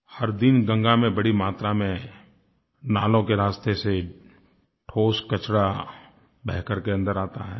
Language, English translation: Hindi, Every day, effluents and garbage in a large quantity flow into Ganga through drains